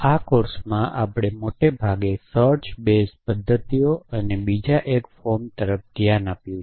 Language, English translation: Gujarati, So far in this course, we have looked at mostly search base methods and 1 form of the other